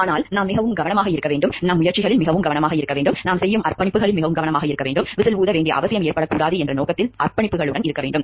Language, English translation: Tamil, But we should be so, much careful in our efforts we should be so, much careful in the commitments that we make, we should much so, much we dedicated towards the objective that what the need for whistle blowing should not arise